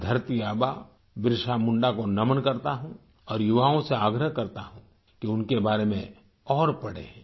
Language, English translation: Hindi, I bow to 'Dharti Aaba' Birsa Munda and urge the youth to read more about him